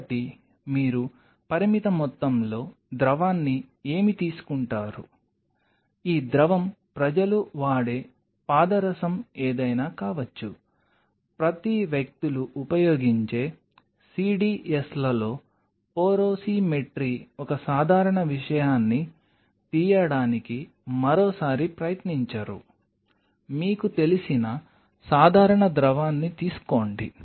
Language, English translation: Telugu, So, what do you do you take a finite amount of fluid, this fluid could be anything people use mercury, porosimetry per people use CDS of them do not get another try to pick up a simple thing, you take a simple fluid you know that x amount of fluid I am taking take